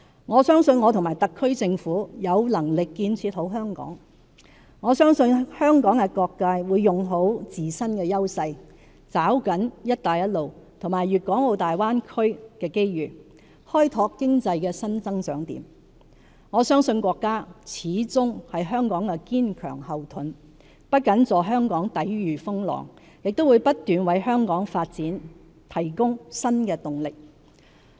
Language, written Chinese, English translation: Cantonese, 我相信我和特區政府有能力建設好香港；我相信香港各界會用好自身優勢，抓緊"一帶一路"和粵港澳大灣區的機遇，開拓經濟的新增長點；我相信國家始終是香港的堅強後盾，不僅助香港抵禦風浪，亦會不斷為香港發展提供新動力。, I believe that the HKSAR Government and myself are capable of building a better Hong Kong . I believe that all sectors in the community will leverage on their own strengths and seize the opportunities presented by the Belt and Road Initiative and the Greater Bay Area development in exploring new areas of economic growth . I believe that our country will continue to provide staunch support for Hong Kong help us rise to challenges and continue to inject new impetus to facilitate Hong Kongs development